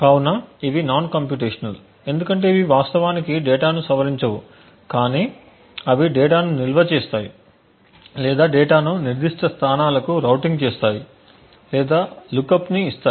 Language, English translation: Telugu, So, these are non computational because it does these do not actually modify the data but rather they just either store the data or just route the data to specific locations or just provide a look up so on